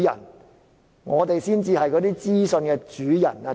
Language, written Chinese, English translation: Cantonese, 主席，我們才是那些資訊的主人。, President we are in fact the owners of the information